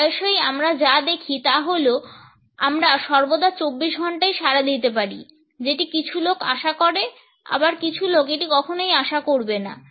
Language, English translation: Bengali, Often times what we see is, that we can respond 24 7 all the time, some people expect that some people would never expect that